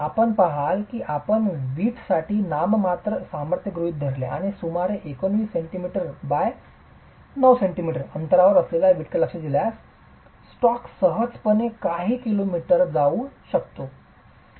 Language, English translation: Marathi, You will see that if you assume a nominal strength for the brick and look at a brick that is about 19 cm or 9 centimeters, the stack can easily go for a few kilometers